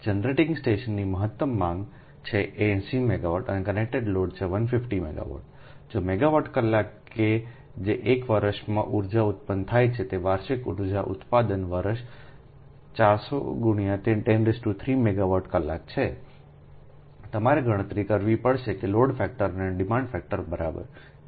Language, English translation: Gujarati, so a generating station has a maximum demand of eighty megawatt and a connected load of one fifty megawatt, right, if megawatt hour, that is energy generated in a year is that is, annual energy generation year is four hundred into ten to the power three a megawatt hour